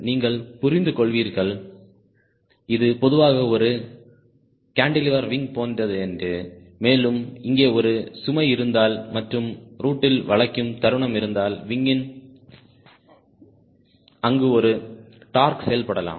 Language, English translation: Tamil, you could understand this is typically like a cantilever wing and if there is a load here and if there will be bending moment at the root, there may be a torque acting on the ah on the wing